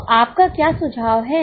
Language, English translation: Hindi, So what is your suggestion